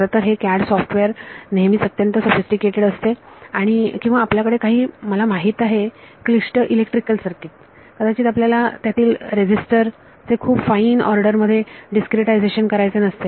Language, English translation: Marathi, So, even CAD software is generally very sophisticated or you have some you know complicated electrical circuit maybe you do not want to discretize the resistor very finely order it so, this is a complicated step